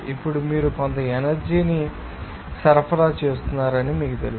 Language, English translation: Telugu, Now you have to you know supplying some energy